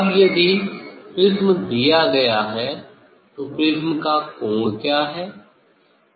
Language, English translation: Hindi, if prism is given; if prism is given now, what is the angle of the prism, what is the angle of the prism that one can determine